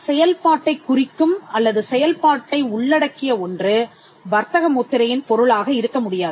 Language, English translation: Tamil, Something which is which did denote a function, or which covers a functionality cannot be the subject matter of a trademark